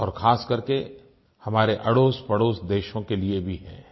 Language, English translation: Hindi, And very specially to our neighbouring countries